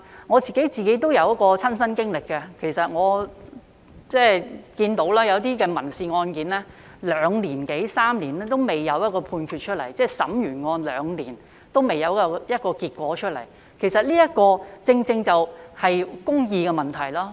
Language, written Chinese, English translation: Cantonese, 我也有親身的經歷，我有看到有一些民事案件歷時兩年多三年仍未有判決出來，即案件完成審理兩年仍未有結果，其實這正正是公義的問題。, According to my personal experience the judgments in some civil cases were not handed down after two or three years . That is even two years after the cases were heard no judgments were handed down . This is actually a matter of whether justice has been manifested